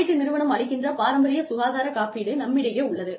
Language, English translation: Tamil, We have traditional health insurance, which is provided by an insurance company